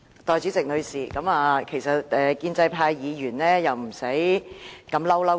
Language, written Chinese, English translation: Cantonese, 代理主席，其實建制派議員何須如此"嬲嬲豬"。, Deputy Chairman actually Members of the pro - establishment camp need not be so infuriated